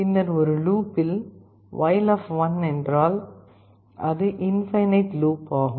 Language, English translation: Tamil, Then in a loop, while means it is an infinite loop